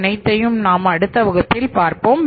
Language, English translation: Tamil, So, all these things I will discuss with you in the next class